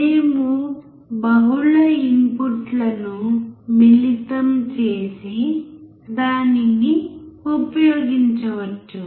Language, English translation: Telugu, We can combine the multiple inputs and use it